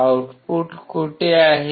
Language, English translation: Marathi, Where is the output